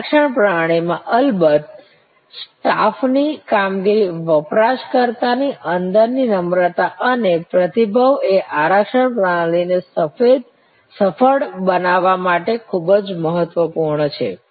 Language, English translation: Gujarati, In the reservation system of course, the staff performance the user friend inners the politeness the responsiveness are very important to make the reservation system successful